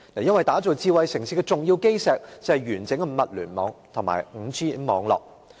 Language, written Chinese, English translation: Cantonese, 因為打造智慧城市的重要基石，就是完整的物聯網及 5G 網絡。, Because an essential cornerstone for laying a smart city is a comprehensive Internet of Things and 5G network